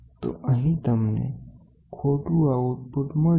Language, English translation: Gujarati, So, here you get an incorrect output